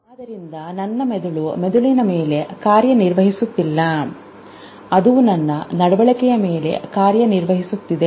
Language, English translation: Kannada, So, my brain is not acting on my brain, it is acting on my behavior